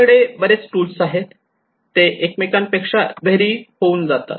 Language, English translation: Marathi, We have so many tools now these tools they vary from each other